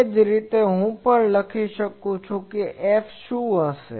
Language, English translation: Gujarati, Similarly, I can also write what will be F